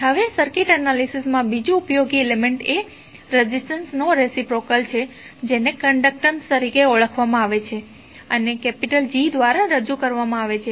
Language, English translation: Gujarati, Now, another useful element in the circuit analysis is reciprocal of the resistance which is known as conductance and represented by capital G